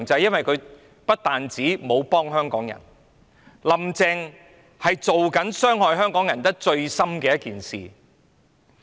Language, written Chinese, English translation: Cantonese, 因為"林鄭"不但沒有幫香港人，反而正在做一件傷害香港人最深的事。, Because Mrs Carrie LAM is not only offering no help to Hong Kong people but is doing something which hurts Hong Kong people most deeply